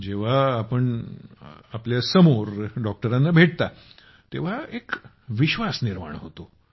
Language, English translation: Marathi, Well, when you see the doctor in person, in front of you, a trust is formed